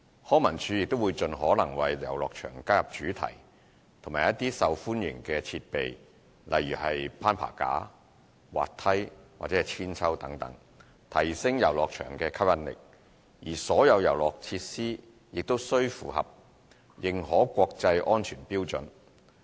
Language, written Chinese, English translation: Cantonese, 康文署亦會盡可能為遊樂場加入主題和一些受歡迎的設備如攀爬架、滑梯和鞦韆等，提升遊樂場的吸引力，而所有遊樂設施均需符合認可國際安全標準。, To strengthen the appeal to children themes and popular play facilities such as climbing frames slides and swings etc . will also be included in the playgrounds as far as possible . All the facilities have to meet internationally recognized safety standards